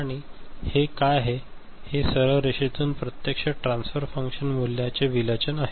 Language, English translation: Marathi, And what is it, this is the deviation of the values on the actual transfer function from a straight line ok